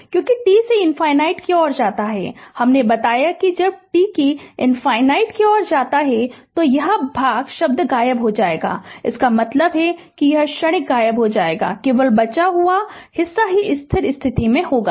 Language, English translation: Hindi, Because, when t tends to infinity your I told you, when t tends to infinity, this part term will vanish right, so that means transient will vanish only left out portion will be that is steady state